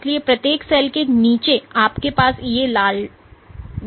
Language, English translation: Hindi, So, underneath each cell you have these red dots